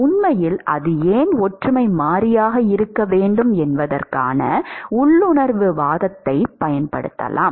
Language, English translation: Tamil, And in fact, there is one could use an intuitive argument as to why that should be the similarity variable